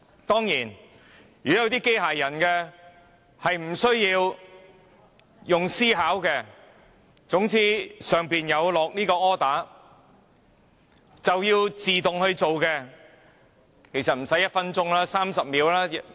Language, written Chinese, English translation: Cantonese, 當然，如果這些機械人無須思考，接到 order 便會自動表決，其實無需1分鐘 ，30 秒便足夠。, Of course if those robots only vote automatically as ordered without having to think they actually do not need a minute and only 30 seconds will be enough